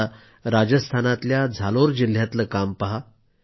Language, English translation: Marathi, Take for instance Jalore district in Rajasthan